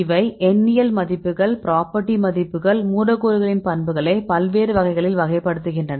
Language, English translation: Tamil, These are the numerical values then property values numerical values that characterize the properties of the molecules right in various type of properties